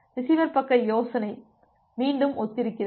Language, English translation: Tamil, So, the receiver side the idea is again similar